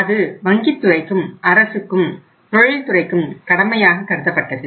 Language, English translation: Tamil, And that was considered as the obligation of the banking sector as well by the government also and by the industry also